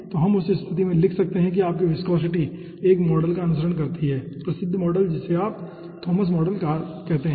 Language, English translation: Hindi, so we can write down in that case that your viscosity follows a model, famous model called thomas model